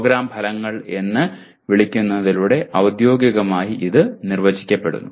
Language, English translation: Malayalam, Officially it is defined through what they call as Program Outcomes